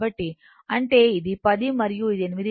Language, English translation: Telugu, So, that means, this one is 10 and this one is 8